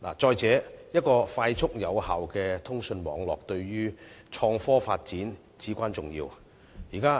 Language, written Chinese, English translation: Cantonese, 再者，一個快速有效的通訊網絡，對創科發展至為重要。, Furthermore a fast and effective communications network is crucially important to innovation and technology development